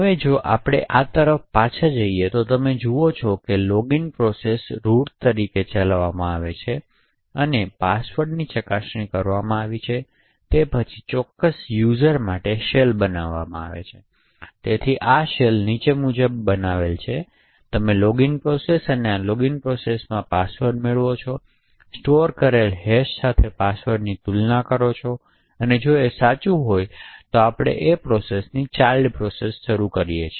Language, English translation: Gujarati, Now if we go back to this what you see is that the login process executes as root and was the password is verified it will then create a shell for that particular user, so essentially this shell is created something as follows, so you would have let us say the login process and within this login process you obtain the password and compare the password with the stored hash and if this is true, then we fork a process, the child process